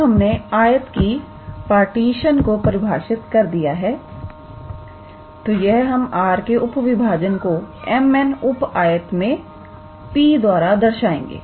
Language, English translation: Hindi, Now, since we have defined the how to say the partition of that rectangle we denote the subdivision of R into m n sub rectangles, by P